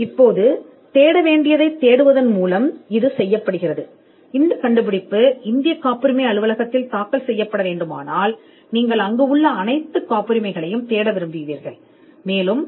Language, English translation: Tamil, Now this is done by writing to the searcher stating what needs to be searched, if it is the Indian patent office you would say that this invention is to be filed in the Indian patent office, and you would want to search all the patents in the Indian patent office